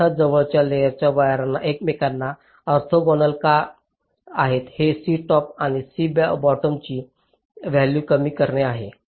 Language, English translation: Marathi, the reason why adjacent layer wires are orthogonal to each other is to reduce the values of c top and c bottom